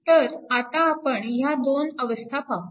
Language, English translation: Marathi, So now, let us examine the 2 cases